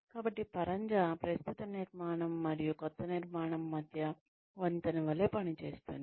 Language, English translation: Telugu, So, scaffolding acts as a bridge, between the current structure and the new structure